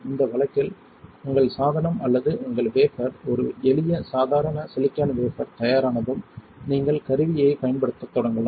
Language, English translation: Tamil, Once your device or your wafer in this case have a simple ordinary silicon wafer is ready, you can start using the tool